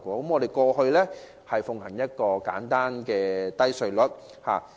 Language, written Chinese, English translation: Cantonese, 香港過去奉行簡單低稅率制度。, Hong Kong had previously upheld a simple and low - tax regime